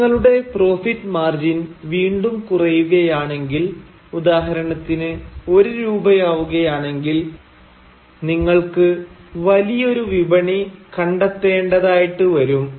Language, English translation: Malayalam, If your profit margin further declines, if it goes down to say Rupee 1, then of course, you will have to find a larger market